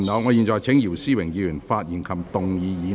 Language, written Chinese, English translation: Cantonese, 我現在請姚思榮議員發言及動議議案。, I now call upon Mr YIU Si - wing to speak and move the motion